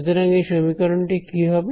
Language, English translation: Bengali, So, that is the expression over here